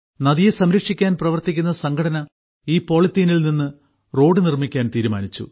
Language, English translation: Malayalam, The organization working to save the river, decided to build a road using this polythene, that is, the waste that came out of the river